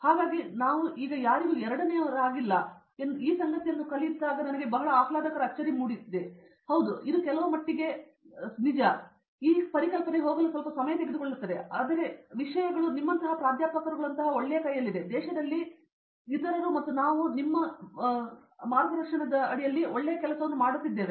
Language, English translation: Kannada, So, it was a pleasant surprise to learn this fact that we are second to none now, I mean yeah, it takes time to go to the certain extent, but the thing is we are in a in a good hands like professors like you and others in the country and we are doing a good work also that’s what I learnt